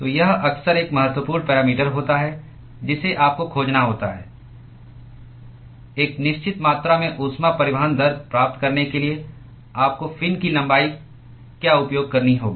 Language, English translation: Hindi, So, this is often an important parameter that you have to find: what is the length of the fin that you have to use in order to achieve a certain amount of heat transport rate